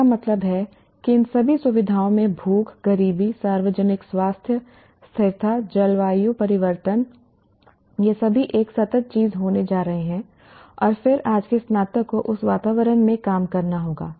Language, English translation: Hindi, That means all these features from hunger, poverty, public health, sustainability, climate change, all of them are going to be a continuous thing and then today's graduate will have to work in that environment